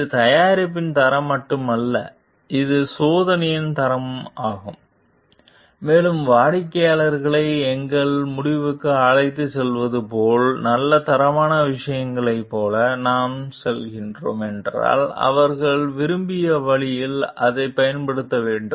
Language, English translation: Tamil, It is not only the quality of the product, it is also the quality of the service and taking the customers into our decision like if we are like going for like good quality things, then they have to use it in the way that is desired